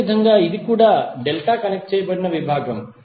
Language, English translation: Telugu, And similarly, this also is a delta connected section